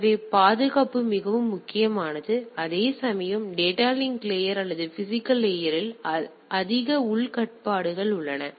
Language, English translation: Tamil, So, there is more security is more important whereas, in the data link layer or the physical layer that is more internal controls are there right